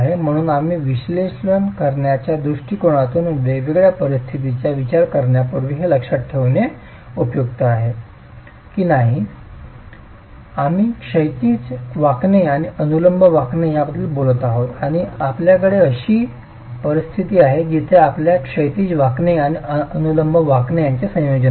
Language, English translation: Marathi, So before we examine the analysis approaches to consider different situations it is useful to recollect that we talked of horizontal bending and vertical bending and you have situations where you have a combination of horizontal bending and vertical bending